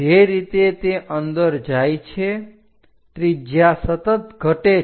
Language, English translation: Gujarati, As it is going inside the radius continuously decreases